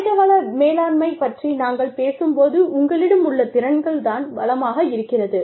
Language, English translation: Tamil, When we talk about human resources management, the skills that you have, become the resource